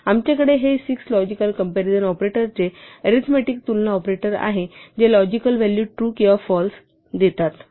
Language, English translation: Marathi, So, we have these 6 logic logical comparison operators' arithmetic comparison operators which yield a logical value true or false